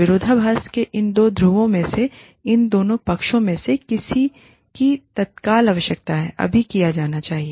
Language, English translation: Hindi, Which of these two poles of the paradox, which of these two sides, has an immediate need, to be done, now